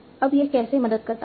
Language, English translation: Hindi, Now, how does it help